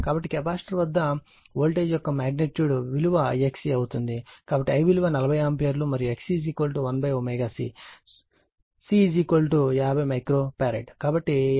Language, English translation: Telugu, So, voltage across this capacitor voltage across capacitor magnitude I X C right so, I is 40 ampere, and X C is equal to 1 upon omega C, C is equal to 50 micro farad